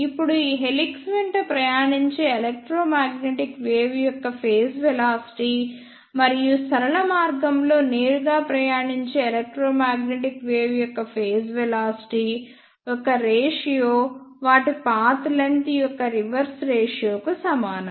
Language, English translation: Telugu, Now, the ratio of phase velocity of electromagnetic wave travelling along this helix and the phase velocity of electromagnetic wave which is travelling directly in the straight path will be the reverse ratios of their path lengths